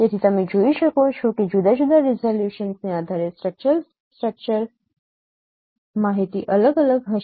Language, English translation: Gujarati, So so you can see that depending upon different resolution, the structured structural information will vary